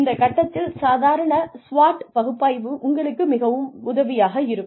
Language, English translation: Tamil, The typical SWOT analysis, will be very helpful, at this stage